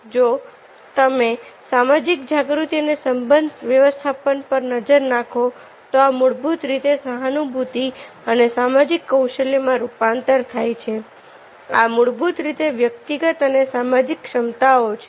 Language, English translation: Gujarati, if you look at the social awareness and relationship management, these are basically later on it was converted to empathy and social skills